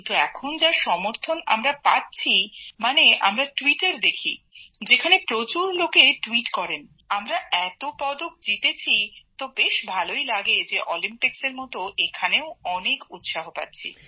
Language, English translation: Bengali, It goes, but now we are getting so much support in this game also… we are seeing tweets…everyone is tweeting that we have won so many medals, so it is feeling very good that like Olympics, this too, is getting so much of encouragement